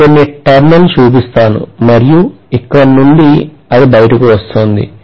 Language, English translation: Telugu, I will just show a few turns and then from here it is coming out